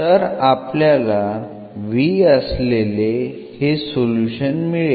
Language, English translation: Marathi, So, that we get the new differential equation in v